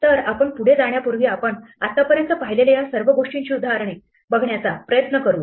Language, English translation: Marathi, So, before we go ahead let us try and look at some examples of all these things that we have seen so far